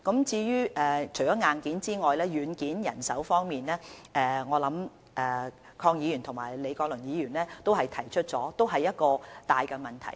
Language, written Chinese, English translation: Cantonese, 除了硬件，軟件例如人手亦十分重要，鄺議員和李國麟議員剛才也指出這是一個大問題。, The hardware aside the software is also very important one example being manpower . Mr KWONG and Prof Joseph LEE have also pointed out that this is a big problem